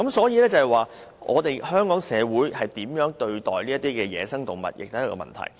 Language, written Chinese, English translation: Cantonese, 由此可見，香港社會如何對待野生動物，也是一個問題。, From this incident we can see that how Hong Kong society treats wildlife . That is also a problem